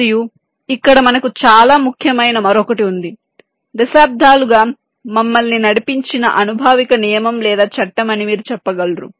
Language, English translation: Telugu, and here we have another very important, you can say, empirical rule or law that has driven us over decades